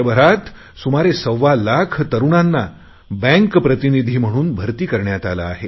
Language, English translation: Marathi, 25 lakh young people have been recruited as banking correspondents